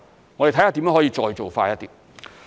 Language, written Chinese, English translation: Cantonese, 我們會看看如何可以再做快一點。, We will explore ways to expedite our work further